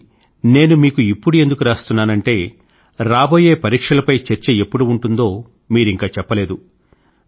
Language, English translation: Telugu, The reason I am writing to you is that you have not yet shared with us the scheduled date for your next interaction on examinations